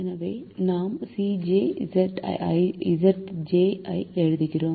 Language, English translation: Tamil, so we write the c j minus z j